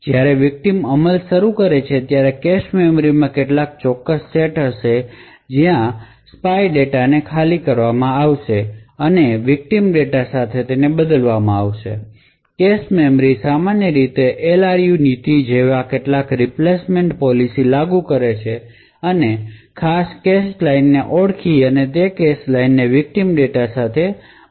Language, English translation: Gujarati, Now when the victim executes there will be certain sets in the cache memory, where the spy data would be evicted and replaced with the victim data, cache memory would typically implement some replacement policy such as the LRU policy and identify a particular cache line to evict and that particular cache line is replaced with the victim data